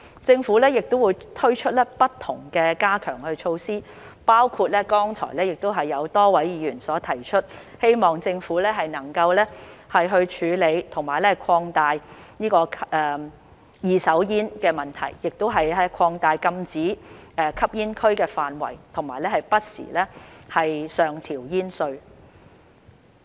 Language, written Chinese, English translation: Cantonese, 政府亦會推出不同的加強措施，包括剛才有多位議員提出，希望政府能夠處理二手煙的問題，亦擴大禁止吸煙區範圍和不時上調煙稅。, The Government will also introduce various enhancement measures including a number of Members proposals just now to address the problem of second - hand smoke expand no - smoking areas and increase tobacco duty from time to time